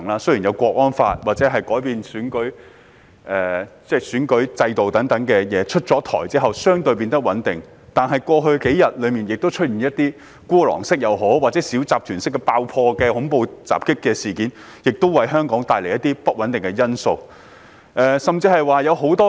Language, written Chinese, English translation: Cantonese, 雖有《香港國安法》或完善選舉制度等政策出台，情況變得較為穩定，但過去數天曾發生孤狼式或小集團式爆破或恐怖襲擊事件，為香港帶來不穩定因素。, Although the situation has become more stable with the introduction of such policies as the National Security Law or the improvement of the electoral system there have been incidents of explosions or terrorist attacks in the style of lone wolf or small syndicate in the past few days bringing uncertainties to Hong Kong